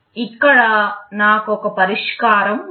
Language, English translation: Telugu, Here I have a solution